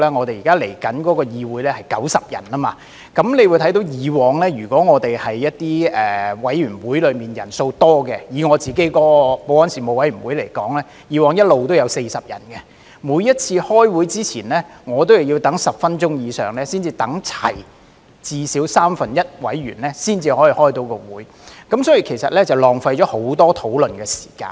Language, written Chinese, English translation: Cantonese, 未來的議會將會有90位議員，以往一些委員會的委員人數較多，以我擔任主席的保安事務委員會為例，以往一直也有40人，每次開會之前，我也要等待10分鐘以上，等到至少三分之一的委員出席才可以開會，因而浪費了很多討論的時間。, Some committees had relatively more members in the past . Take the Panel on Security which I serve as the Chairman as an example there were always 40 members in the past . Before each meeting I had to wait for more than 10 minutes until at least one third of the members were present before I could start the meeting thus wasting a lot of discussion time